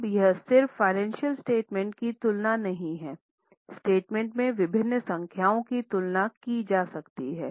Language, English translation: Hindi, Now, this is not just comparing the financial statements, the different numbers in statement, we can also do variety of comparisons